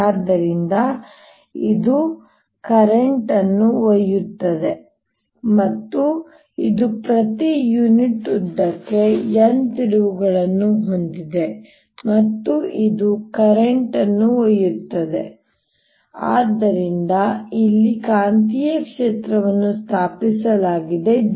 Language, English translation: Kannada, so example one: i will take a long solenoid that has n terms per unit length, so it is carrying current i and it has n turns per unit length and it is carrying current i so that there is a magnetic field established here b